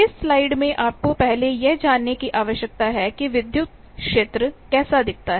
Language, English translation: Hindi, What that you need to find out how the electric field look like in this slide